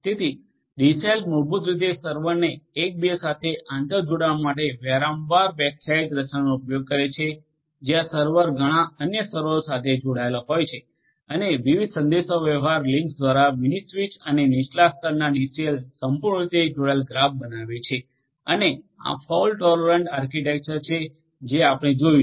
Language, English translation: Gujarati, So, a DCell basically uses a recursively defined structure to interconnect the server, where the server is interconnected to several other servers and a mini switch via different communication links and the low level DCells form a fully connected graph and there are these fault tolerant architecture that we have seen